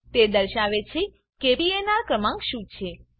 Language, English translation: Gujarati, It says what is the PNR number